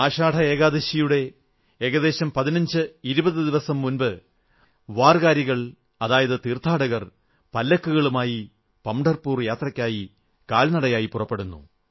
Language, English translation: Malayalam, About 1520 days before Ashadhi Ekadashi warkari or pilgrims start the Pandharpur Yatra on foot